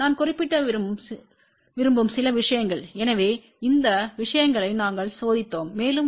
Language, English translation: Tamil, A few things I want to mention , so we have manufactured these things we tested these things also